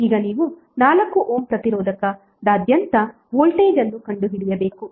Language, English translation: Kannada, Now you need to find out the voltage across 4 Ohm resistor